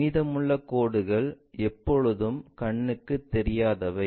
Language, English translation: Tamil, The remaining lines are always be invisible